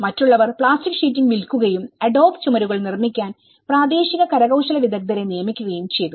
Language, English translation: Malayalam, Others sold a plastic sheeting and hired the local artisans to build adobe walls